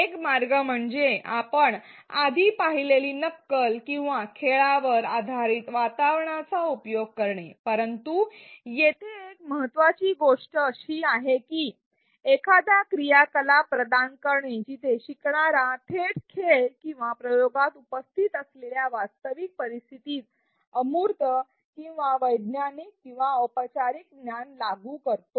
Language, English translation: Marathi, One way is to use a simulation or game based environment which we have seen earlier, but what is important here is to provide an activity where the learner directly applies the abstract or scientific or formal knowledge in the realistic scenario present in the game or experiment or the simulation experiment